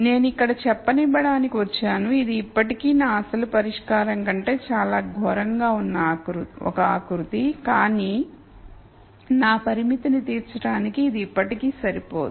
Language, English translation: Telugu, So, I come up to let us say here and this is still a contour which is much worse than my original solution, but it is still not enough for me to satisfy my constraint